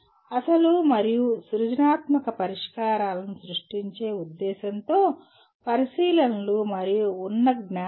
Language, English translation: Telugu, Observations and existing knowledge, again for the purpose of creating original and creative solutions